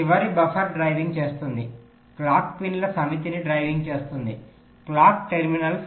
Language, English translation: Telugu, so the last buffer will be driving, driving a set of clock pins, clock terminals